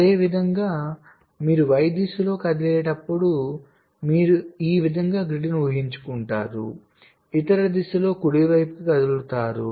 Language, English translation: Telugu, similarly, when you move in the y direction, you will be imagining grid like this moving in the other direction, right